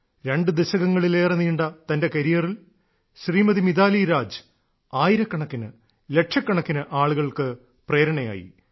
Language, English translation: Malayalam, Mitali Raj ji has inspired millions during her more than two decades long career